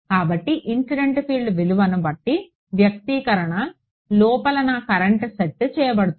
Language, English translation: Telugu, So, depending on a value of the incident field my current inside the expression got set